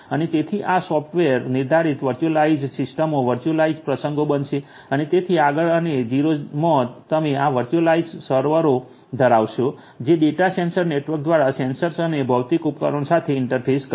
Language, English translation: Gujarati, And so these are going to be software defined virtualized systems virtualized instances and so on and in level 0 you are going to have these virtualized servers that will interface with the sensors and the physical devices via the data center networks